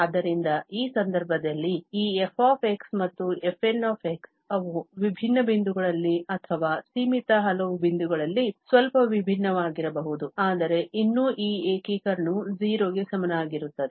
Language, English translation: Kannada, So, in that case, though this f and fn, they may differ marginally at different points or at finitely many points but still this integration may be equal to 0